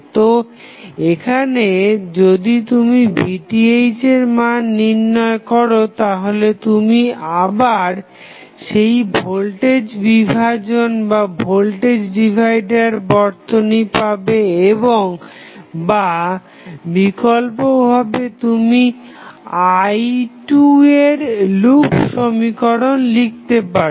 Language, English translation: Bengali, So, here if you find out the value of Vth what you get you will get again the voltage divider circuit or alternatively you can write the loop equation say I2